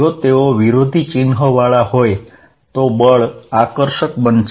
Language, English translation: Gujarati, If they are at opposite signs, then force is going to be attractive